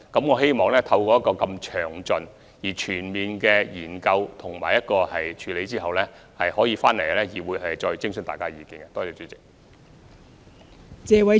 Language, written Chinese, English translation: Cantonese, 我希望將這項詳細而全面的研究及有關的處理手法提交議會，徵詢大家的意見。, I wish to submit this detailed and comprehensive study together with the relevant approaches to the Council to seek Members views